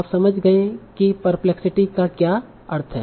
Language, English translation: Hindi, So now you understand what the perplexity means